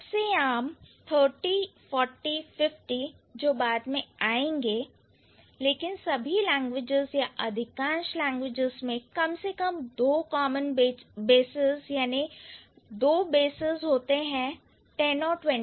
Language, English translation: Hindi, So, the most common ones, 30, 40, 50 that would come later, but all the languages or most of the languages will have at least two common basis or two bases, that is 10 and 20